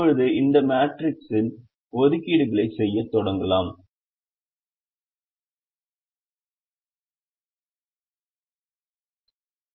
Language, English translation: Tamil, now we can start making assignments in this matrix and we will start doing that